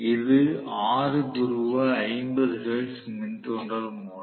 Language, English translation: Tamil, So, let us see it is a 6 pole 50 hertz induction motor